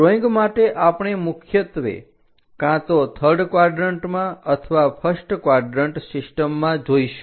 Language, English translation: Gujarati, For drawing, we mainly look at either third quadrant or first quadrant systems